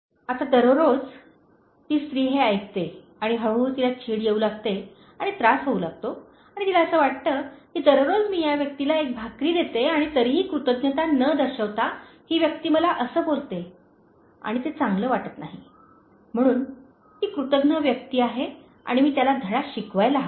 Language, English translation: Marathi, ” Now, every day the lady listens to this and slowly she starts feeling irritated and annoyed and she feels that every day I am giving this person one set of bread and then without showing any gratitude, this person says this to me and then it doesn’t sound good, so he is ungrateful fellow and I should teach him a lesson